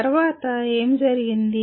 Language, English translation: Telugu, What happened after …